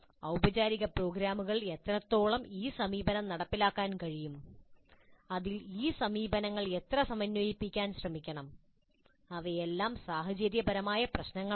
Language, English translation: Malayalam, Now what is the extent to which these programs, these approaches can be implemented, formal, informal programs, in which mix these approaches should be tried, all are situational issues